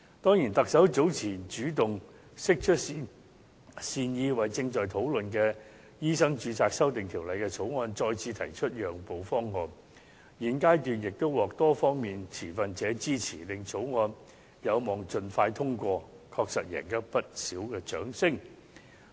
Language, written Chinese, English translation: Cantonese, 當然，特首早前主動釋出善意，為正在討論的《醫生註冊條例草案》再次提出讓步方案，現階段亦獲多方面持份者支持，令草條例案有望盡快通過，確實贏取不少掌聲。, Certainly earlier on the Chief Executive has taken the initiative to demonstrate goodwill by putting forth a concessionary proposal again for the Medical Registration Amendment Bill under discussion . It has received the support of stakeholders on various sides at the present stage making it possible for the Bill to be passed expeditiously